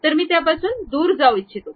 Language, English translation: Marathi, So, I would like to just go out of that